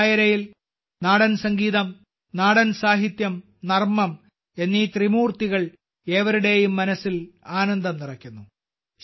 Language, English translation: Malayalam, In this Dairo, the trinity of folk music, folk literature and humour fills everyone's mind with joy